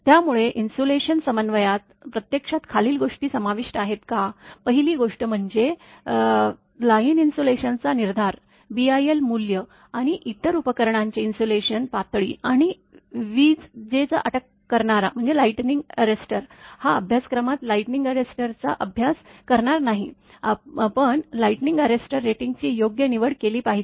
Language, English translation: Marathi, So, does the insulation coordination actually involves the following, first thing is the determination of line insulation, selection of the BIL value, and insulation levels of other apparatus, and selection of lightning arrester this lightning arrester will not study in this course, but the selection of light we have to design that proper rating of the lightning arrester